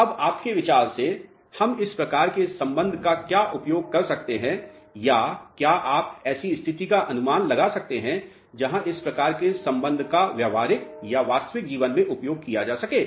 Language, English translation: Hindi, Now, where we can use this type of relationship any idea or can you guess of a situation where this type of relationship can be utilized in practical or real life